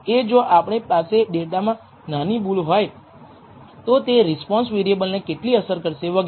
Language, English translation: Gujarati, Is there a if we have a small error in the data how well how much it affects the response variable and so on